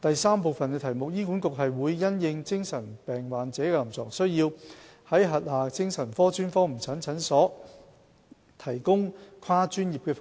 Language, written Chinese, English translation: Cantonese, 三醫管局會因應精神病患者的臨床需要，在轄下精神科專科門診診所提供跨專業服務。, 3 HA provides multi - disciplinary services at its psychiatric SOP clinics for patients with mental illness according to their clinical needs